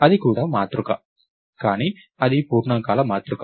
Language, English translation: Telugu, thats also a matrix, but its a matrix of integers